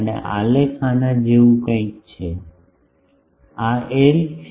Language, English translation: Gujarati, And the graphs are something like this, this is L